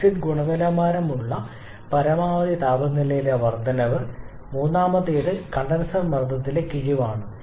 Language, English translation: Malayalam, Then an increase in the maximum temperature where the exit quality is also increasing and the third is a deduction in the condenser pressure